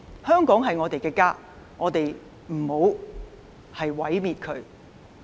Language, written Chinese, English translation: Cantonese, 香港是我們的家，我們不要毀滅它。, Hong Kong is our home and we must not destroy it